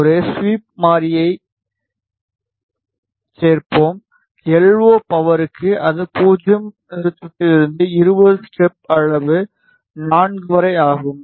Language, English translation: Tamil, let us add a sweep variable for the LO power starting from 0 stop to 20 step size 4 ok